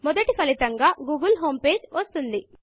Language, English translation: Telugu, The google homepage comes up as the first result